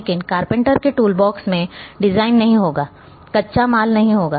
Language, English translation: Hindi, But the carpenter’s toolbox will not have design; will not have the raw material